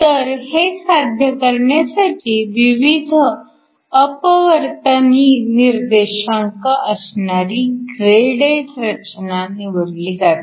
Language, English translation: Marathi, This is usually done by choosing materials with different refractive index